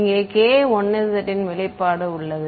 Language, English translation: Tamil, Here right k 1 z has its expression over here